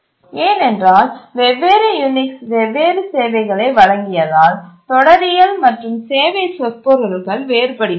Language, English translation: Tamil, Because the syntax and the service semantics differed, the different Unix version offered different services